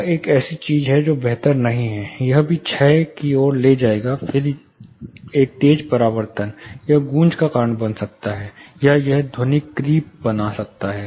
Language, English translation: Hindi, This is something which is not preferable, this would also lead to decay then a sharp reflection, it may lead to echo, or it may lead to something called acoustic creep